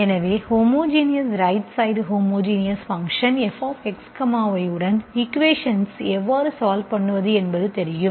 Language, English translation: Tamil, So you know the method how to solve the equation with homogeneous right hand side, homogeneous function f of X, Y